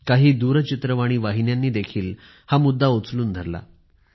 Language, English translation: Marathi, Some TV channels also took this idea forward